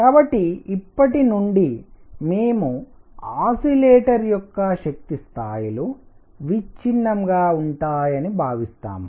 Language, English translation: Telugu, So, from now on we assume that the energy levels of an oscillator are quantized